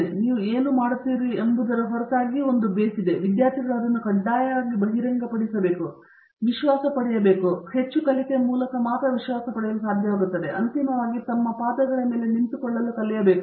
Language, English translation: Kannada, So, there is a base irrespective of what you are doing, students have to be mandatorily exposed to that and have to get the confidence of that and finally, learn to stand on their feet